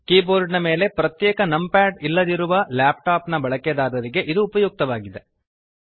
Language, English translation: Kannada, This is useful for laptop users, who dont have a separate numpad on the keyboard